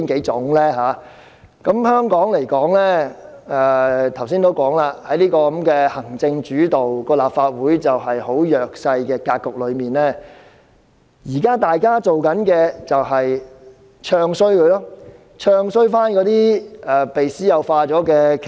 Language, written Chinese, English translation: Cantonese, 正如我剛才所說，在香港行政主導，立法會處於弱勢的格局下，現時大家要做的就是"唱衰"那些已被私有化的企業。, As I said earlier Hong Kong upholds the executive led structure . In a framework where the Legislative Council is in an inferior position what we can do now is to bad - mouth those privatized corporations . Take MTRCL as an example